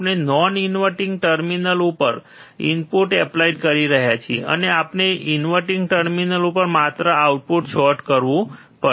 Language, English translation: Gujarati, we are applying input at the non inverting terminal, and we have to just short the output with the inverting terminal